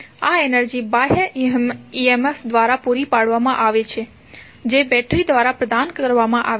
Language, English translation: Gujarati, This energy is supplied by the supplied through the external emf that is provided by the battery